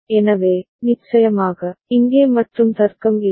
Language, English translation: Tamil, So, of course, there is no AND logic here